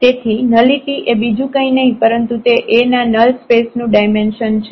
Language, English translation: Gujarati, So, nullity is nothing, but its a dimension of the null space of A